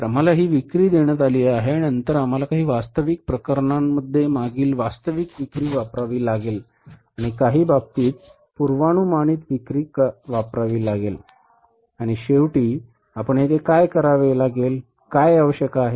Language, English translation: Marathi, So, we are given these sales and then we have to use the previous actual sales in some cases and use the forecasted sales in the some cases